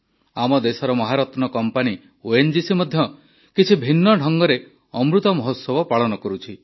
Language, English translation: Odia, Our country's Maharatna, ONGC too is celebrating the Amrit Mahotsav in a slightly different manner